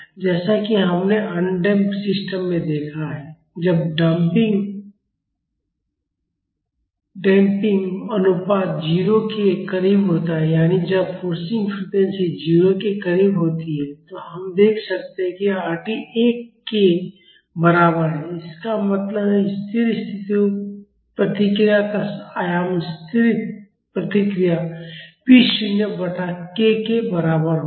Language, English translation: Hindi, As we have seen in the undamped systems when the damping ratio is close to 0 that is when the forcing frequency is close to 0, we can see that Rd is equal to 1; that means, the amplitude of the steady state response will be equal to the static response p naught by k